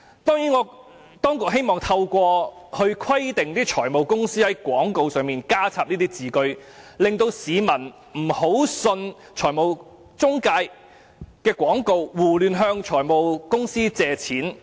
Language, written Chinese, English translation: Cantonese, 當局希望透過規定財務公司在廣告中加入這句，市民便不會輕易相信財務中介的廣告，胡亂向財務公司借錢。, By requiring finance companies to include such a message in their advertisements the authorities hope that members of the public will not easily believe advertisements of financial intermediaries and seek loans from finance companies indiscriminately